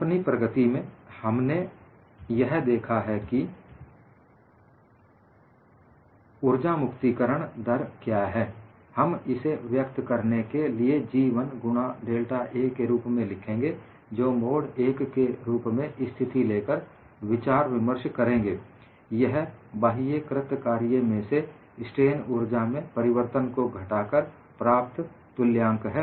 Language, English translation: Hindi, Since in our development, we have already looked at what is energy released rate, we could write G 1 into delta A to denote that we are discussing the mode 1 situation; that is equivalent to change in external work done minus change in strain energy